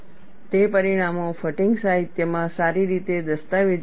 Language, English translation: Gujarati, Those results are well documented in fatigue literature